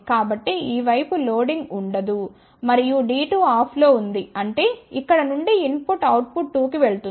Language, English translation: Telugu, So, there will be no loading on this side and D 2 is off so; that means, input from here will go to output 2